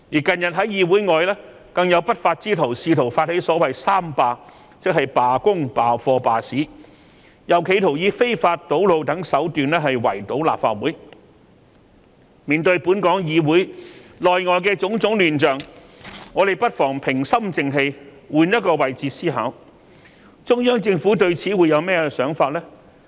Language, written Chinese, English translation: Cantonese, 近日，更有不法之徒發起所謂"三罷"，即罷工、罷課、罷市，又企圖以非法堵路等手段圍堵立法會，面對本港議會內外的種種亂象，我們不妨平心靜氣換個位置思考，中央政府對此會有甚麼想法呢？, labour strike class boycott and suspension of business and they attempted to besiege the Legislative Council Complex by road blockages and other means . In the face of the chaotic situations both within and outside the Legislative Council Members should stay calm and perhaps consider the matter from a different perspective . What will the Central Government think about the situation?